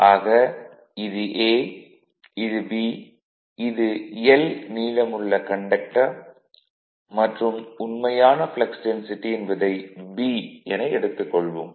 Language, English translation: Tamil, So, now, if you if you now this is this is A, this is B this is that conductor length is L and this actually flux density this is B flux density